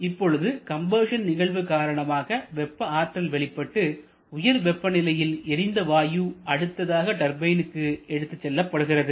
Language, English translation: Tamil, Combustion happens thermal energy is released and this high temperature combustion gases are subsequently taken to the turbine